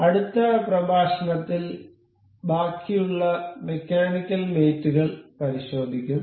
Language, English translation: Malayalam, In the next lecture, we will learn about the mechanical mates